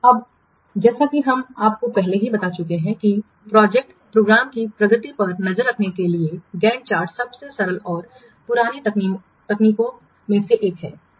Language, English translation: Hindi, Now as we have already told you that GAN chart is one of the simplest and oldest techniques for tracking the project progress